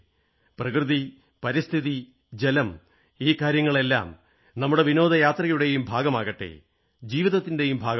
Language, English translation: Malayalam, Nature, environment, water all these things should not only be part of our tourism they should also be a part of our lives